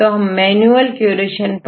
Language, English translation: Hindi, So, we need to do the manual curation